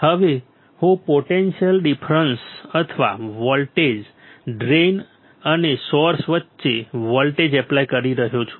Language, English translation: Gujarati, Now, I can apply potential difference or voltage; voltage between drain and source